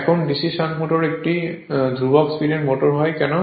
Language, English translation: Bengali, Therefore the DC shunt motor is therefore, considered as a constant speed motor